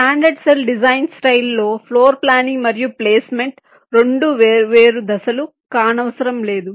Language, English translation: Telugu, in a standard cell design style, floor planning and placement need not be two separate steps